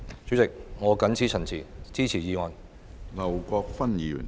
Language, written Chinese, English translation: Cantonese, 主席，我謹此陳辭，支持議案。, President with these remarks I support the motion